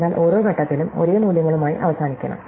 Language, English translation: Malayalam, So, we should eventually end up with the same values at every point